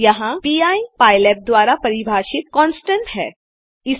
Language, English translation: Hindi, Here pi is a constant defined by pylab